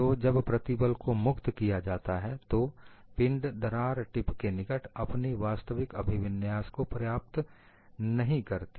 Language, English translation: Hindi, So, when the stresses are released, the body will not attain its original configuration near the crack tip